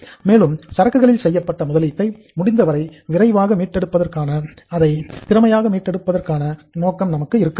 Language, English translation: Tamil, And our objective of recovering the investment made in the inventory as quickly as possible, as efficiently as possible is achieved